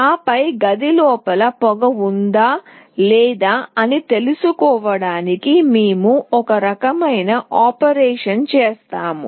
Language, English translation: Telugu, And then we will do some kind of operation to find out whether there is smoke inside the room or not